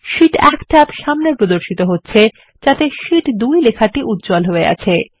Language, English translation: Bengali, The Sheet 1 tab appears in front with the text Sheet 2 highlighted in the cell